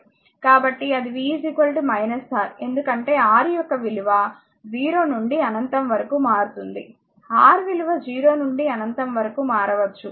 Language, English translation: Telugu, So, that is v is equal to minus R, since the value of R can vary from 0 to infinity, R may be 0 to infinity